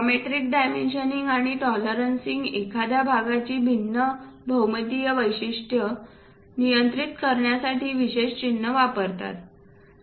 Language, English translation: Marathi, Geometric dimensioning and tolerancing uses special symbols to control different geometric features of a part